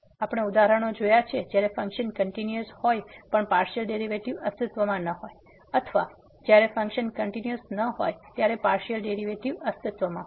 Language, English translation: Gujarati, We have seen the example when the function was not continuous partial derivatives exist or the function was continuous, partial derivative do not exist